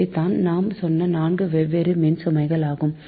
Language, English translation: Tamil, so there are four different type of loads